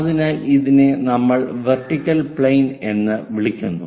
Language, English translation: Malayalam, So, this is what we call vertical plane